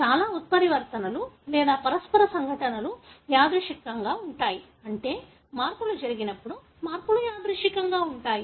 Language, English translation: Telugu, Majority of the mutations or the mutational events are random, meaning when the changes happen, the changes are random